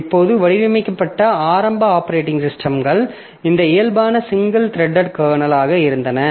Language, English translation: Tamil, Now, initial operating systems that were designed, so they were of this nature, single threaded kernel